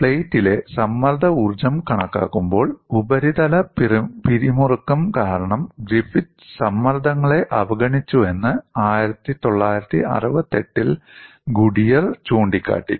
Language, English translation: Malayalam, Goodier in 1968 has pointed out that Griffith has neglected the stresses due to the surface tension, while calculating the strain energy in the plate